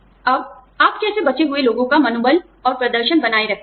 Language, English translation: Hindi, Now, how do you keep up morale and performance, of survivors